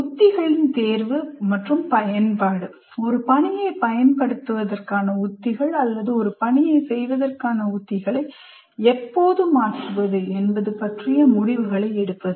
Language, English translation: Tamil, So planning activities, then strategy selection and use, making decisions about strategies to use for a task or when to change strategies for performing a task